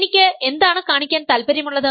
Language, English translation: Malayalam, What am I interested in showing